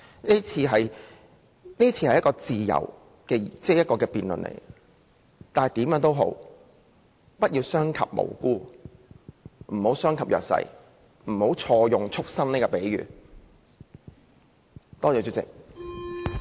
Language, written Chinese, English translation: Cantonese, 這是一場自由的辯論，但無論如何，我希望各位建制派同事不要傷及無辜及弱勢人士，不要錯用"畜牲"的比喻。, This is an open debate . No matter how I hope colleagues from the pro - establishment camp will not hurt the innocent and the disadvantaged . Stop using that wrong metaphor of beasts